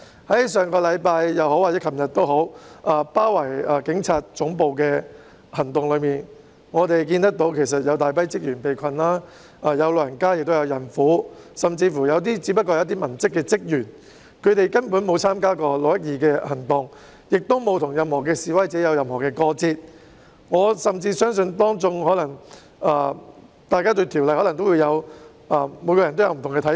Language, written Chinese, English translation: Cantonese, 在上星期或昨天包圍警察總部的行動中，我們看見有大批職員被困，當中包括長者和孕婦，甚至有部分只是文職人員，他們根本沒有參與6月12日的行動，亦沒有與任何示威者有過節，我甚至相信他們對《條例草案》亦可能有不同的看法。, In the actions of besieging the Police Headquarters last week or yesterday we witnessed that a large number of staff members including elderly people and pregnant women were stranded . Some of them are just civilian staff who have not participated in the operation on 12 June and do not have any conflicts with any protesters . I even believe that they might have different opinions about the Bill as well